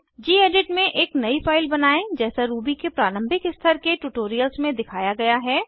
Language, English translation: Hindi, Create a new file in gedit as shown in the basic level Ruby tutorials